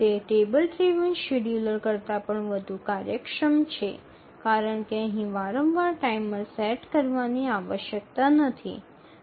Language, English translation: Gujarati, It is more efficient even than a table driven scheduler because repeatedly setting a timer is not required here